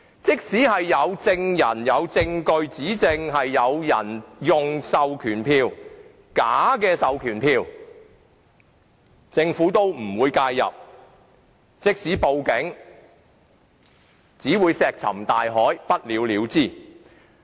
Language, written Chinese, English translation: Cantonese, 即使有人證物證證明有人使用假的授權書，政府也不會介入；即使報警，也只會石沉大海，不了了之。, Even there are witnesses and evidence to prove the use of falsified proxy forms the Government will not intervene . Even if a report is made to the Police it will be left unsettled like a stone dropped into the sea